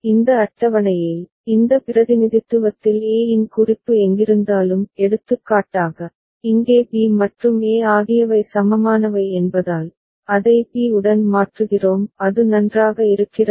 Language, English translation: Tamil, And in this table, in this representation wherever a reference of e was there; for example, here since b and e are equivalent, we are replacing it with b; is it fine